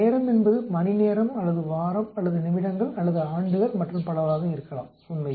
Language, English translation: Tamil, Time could be hours or week or minutes or years and so on actually